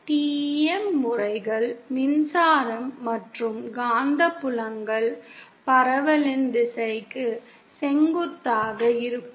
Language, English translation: Tamil, TEM modes are where both the electric and magnetic field are perpendicular to the direction of propagation